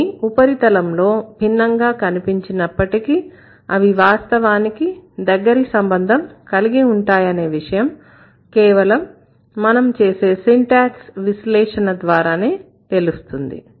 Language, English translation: Telugu, It might be looking different on the surface, but they are actually closely related when you do the analysis and that is what syntax does